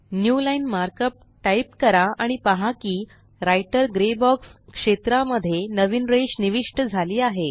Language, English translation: Marathi, Simply type the markup newline and notice that a new line is inserted in the Writer gray box area